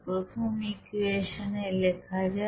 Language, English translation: Bengali, Okay let us write this equation first